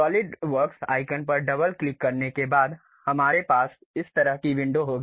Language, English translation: Hindi, After double clicking the Solidworks icon, we will have this kind of window